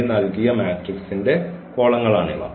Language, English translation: Malayalam, These are the columns of this given matrix